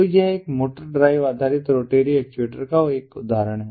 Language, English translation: Hindi, so this is an example of a motor drive based rotary actuator